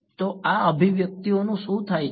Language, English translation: Gujarati, So, what happens to these expressions